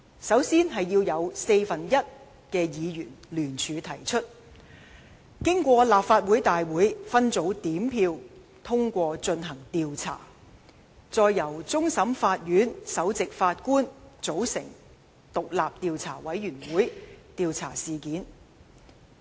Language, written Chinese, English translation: Cantonese, 首先要有四分之一議員聯署提出議案，經立法會大會分組點票通過進行調查；再由終審法院首席法官組成獨立調查委員會調查事件。, First of all a motion has to be initiated jointly by one fourth of all the Members of the Legislative Council . If the motion for investigation is passed by the Council under the separate voting system an independent investigation committee will be formed by the Chief Justice of the Court of Final Appeal to carry out the investigation